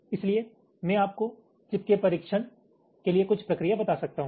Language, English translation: Hindi, so i can tell you some procedure for testing the chip